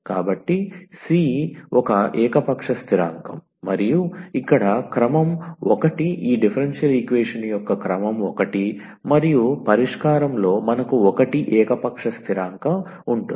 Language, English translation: Telugu, So, c is an arbitrary constant and the order here was 1 the order of this differential equation was 1 and in the solution we have 1 arbitrary constant